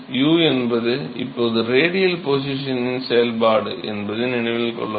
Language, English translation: Tamil, Note that u u is now a function of the radial position